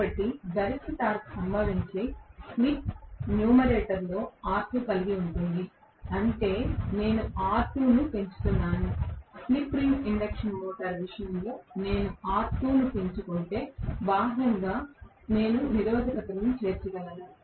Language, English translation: Telugu, But, the slip at which the maximum torque occurs that has R2 in the numerator, which means as I increase R2, if I increase R2 like in the case of a slip ring induction motor, where I can include resistances from externally okay